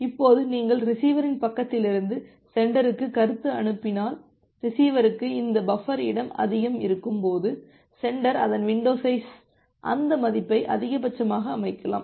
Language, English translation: Tamil, Now if you send the feedback from the receiver side to the sender that when the receiver has this much of buffer space available, then the sender can set its window size to maximum that value